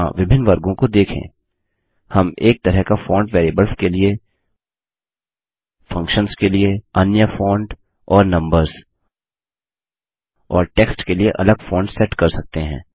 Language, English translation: Hindi, Notice the various categories here: We can set one type of font for variables, another type for functions, another for numbers and text